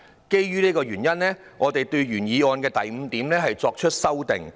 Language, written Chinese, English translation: Cantonese, 基於以上原因，我們對原議案的第五點作出了修訂。, Owing to these reasons we have amended point 5 in the original motion